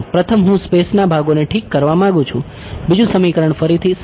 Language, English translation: Gujarati, First I want to get the space parts done correctly second equation again simple